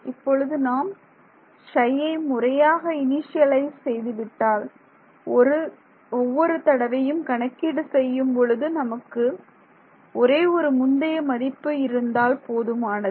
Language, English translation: Tamil, Now, if I initialize this psi n psi properly, then every time I want to evaluate psi, I just need one past value